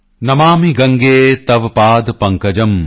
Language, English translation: Punjabi, Namami Gange Tav Paad Pankajam,